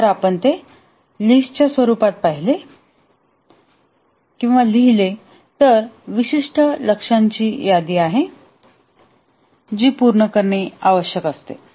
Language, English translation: Marathi, If we write it in the form of a list, it is the list of specific goals, That is what needs to be done